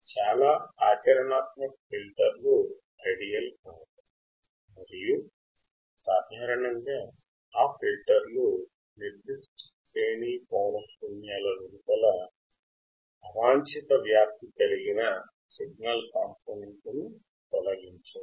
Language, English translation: Telugu, Most practical filters are not ideal, and do not usually eliminate all the undesirable amplitude components outside a specified range of frequencies